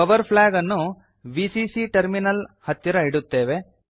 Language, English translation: Kannada, We will place the Power flag near Vcc terminal